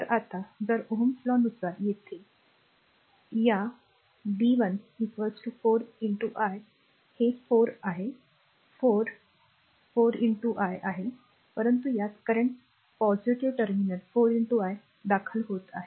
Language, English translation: Marathi, So, if you now if you from ohms' law, if you come here this one, b 1 is equal to 4 into i , that is your this is 4, 4 into i , but in this that is current entering into the positive terminal 4 into i